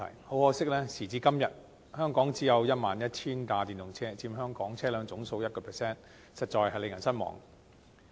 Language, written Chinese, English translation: Cantonese, 很可惜，時至今日，香港只有 11,000 輛電動車，佔香港車輛總數的 1%， 實在令人失望。, Very regrettably Hong Kong only has 11 000 EVs till now which accounted for 1 % of the total number of vehicles in Hong Kong it is really disappointing